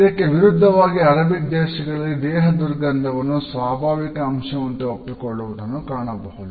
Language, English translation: Kannada, In contrast we find in that in Arabic countries there is a better acceptance of body odors and they are considered to be natural part